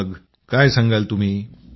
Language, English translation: Marathi, What would you like to say